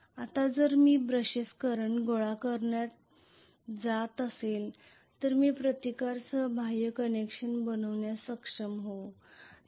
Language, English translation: Marathi, Now if I am going to have the brushes collect the current I will be able to actually to make an external connection with a resistance